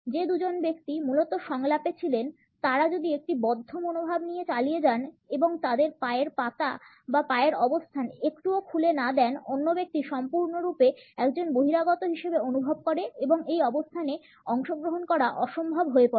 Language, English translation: Bengali, If the two people who had originally been in the dialogue continue with a closed attitude and do not open their position of the feet or legs even a small bit; the other person feels totally as an outsider and the participation becomes impossible in this position